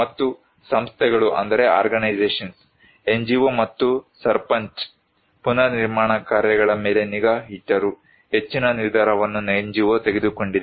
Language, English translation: Kannada, And organizations; NGO and Sarpanch monitored the reconstruction work but majority of the decision was taken by NGO